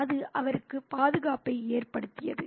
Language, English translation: Tamil, It made him feel protected